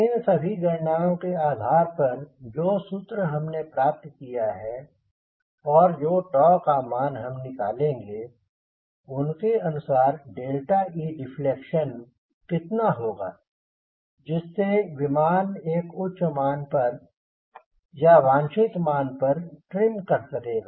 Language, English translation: Hindi, ok, based on these all calculations now value ah formula which we have derived, and the value of tau, we will be calculating what will be the delta e deflection in order to trim your aircraft at an higher value or desired value